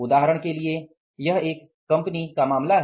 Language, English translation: Hindi, For example, this is a case of a company